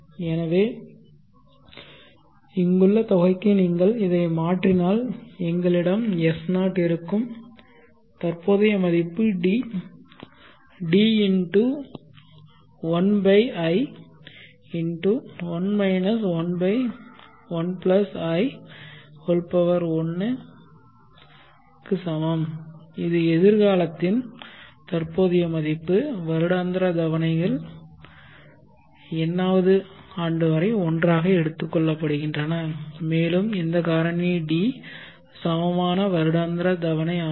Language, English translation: Tamil, So if you substitute this for the sum here then we will have S0 the present worth is equal to D(1/n(1 1/1+In) and this is the present worth of all future annual installments up to nth year taken together